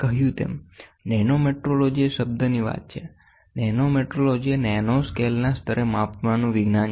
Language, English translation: Gujarati, As I told, nanometrology is the talk of the term, nanometrology is the science of measurement at nanoscale levels